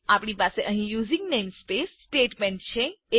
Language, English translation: Gujarati, We have the using namespace statement also